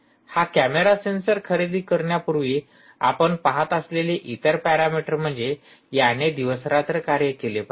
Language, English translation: Marathi, the other parameter that you will be looking at before you buy this camera sensor is it should work day and night, day and night